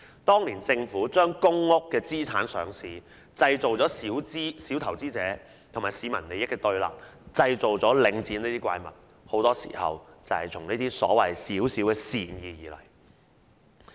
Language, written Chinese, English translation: Cantonese, 當年政府將公屋的資產上市，製造小投資者和市民利益的對立，製造出領展這種怪物，很多時候便是始於這些所謂的小小善意。, The listing of commercial assets of public housing estates back then has given rise to a confrontation of interests between small investors and the public and created the monster The Link REIT . Problems often originate from the so - called goodwill